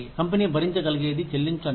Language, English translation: Telugu, Paying, what the company can afford